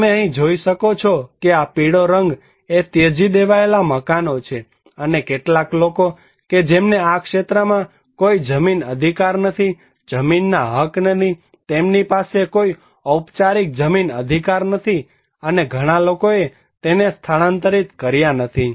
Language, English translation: Gujarati, You can see here that these yellow colours are abandoned places and some people who do not have any land rights in this area, no land rights, they do not have any formal land rights and many people they did not relocate it